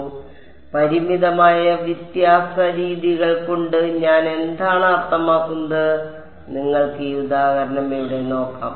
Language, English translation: Malayalam, So, what do I mean by finite difference methods, you can look at this example over here right